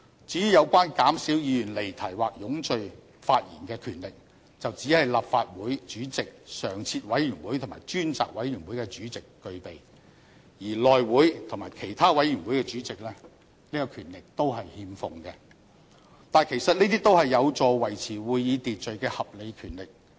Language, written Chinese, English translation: Cantonese, 至於有關減少議員離題或冗贅發言的權力，則只是立法會主席、常設委員會及專責委員會的主席具備，而內務委員會及其他委員會的主席則欠奉這個權力，但其實這些都是有助維持會議秩序的合理權力。, As to powers to reduce speeches that dwell on irrelevance and verbosity only President of the Legislative Council chairmen of standing committees and select committees have such power but chairmen of House Committee and other committees do not have such powers . Yet these are justified powers that can help maintain orders in meetings